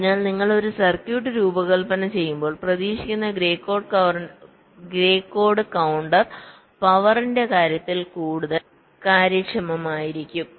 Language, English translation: Malayalam, so when you design a circuit, expectedly grey code counter will be more efficient in terms of power